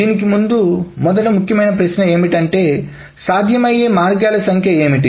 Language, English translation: Telugu, Now before that, the first important question is what are the number of possible ways